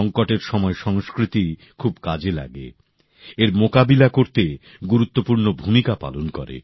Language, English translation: Bengali, Culture helps a lot during crisis, plays a major role in handling it